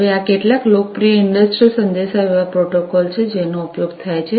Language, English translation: Gujarati, Now, these are some of these popular industrial communication protocols that are used